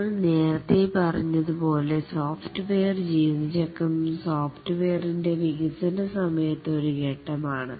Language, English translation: Malayalam, The software lifecycle as we had already said is a series of stages during the development of the software